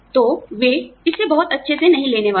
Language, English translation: Hindi, So, you know, they are not going to take it, very well